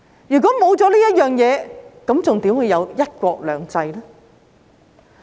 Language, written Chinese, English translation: Cantonese, 如果沒有這些，又怎會有"一國兩制"呢？, Without these how can there be one country two systems?